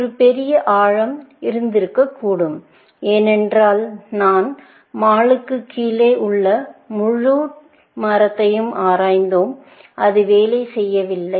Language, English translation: Tamil, There could be a greater depth, because we have explored the entire tree below mall, and it did not work